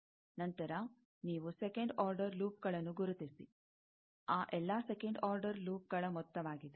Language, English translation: Kannada, Then, you identify second order loops, sum of all those second order loops